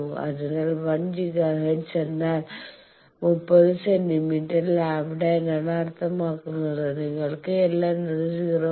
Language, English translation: Malayalam, So, 1 Giga hertz mean 30 centimeter lambda, you can find out L is 0